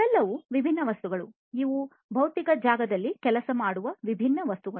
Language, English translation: Kannada, All of these are different objects these are different objects that work in the physical space